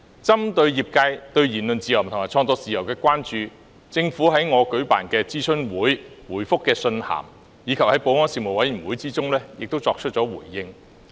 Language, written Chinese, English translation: Cantonese, 針對業界對言論自由和創作自由的關注，政府在我舉辦的諮詢會、回覆的信函，以及在保安事務委員會也作出了回應。, In respect of the concern of the sector about freedom of speech and freedom of creation the Government made its response in the consultation sessions held by me its reply letter and the Panel on Security